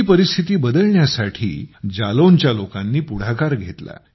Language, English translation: Marathi, The people of Jalaun took the initiative to change this situation